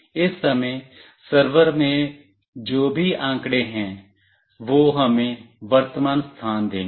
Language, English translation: Hindi, Whatever data is there in the server at this point of time, that will give us the current location